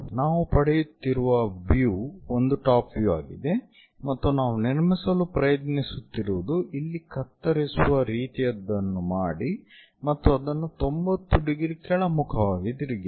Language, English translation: Kannada, So, the view what we are getting is top view and what we are trying to construct is, make a scissoring kind of thing here and flip it in the 90 degrees downward direction